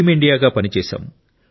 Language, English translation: Telugu, We worked as Team India